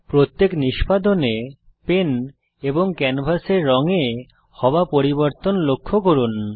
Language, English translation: Bengali, Note the change in the color of the pen and the canvas on each execution